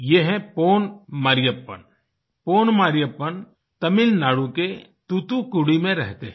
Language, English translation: Hindi, He is Pon Mariyappan from Thoothukudi in Tamil Nadu